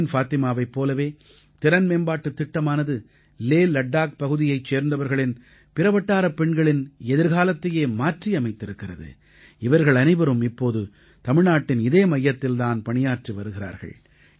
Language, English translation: Tamil, Like Parveen Fatima, the 'HimayatProgramme' has changed the fate of other daughters and residents of LehLadakh region and all of them are working in the same firm in Tamil Nadu today